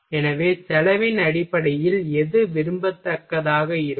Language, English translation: Tamil, So, on based of cost what will be desirable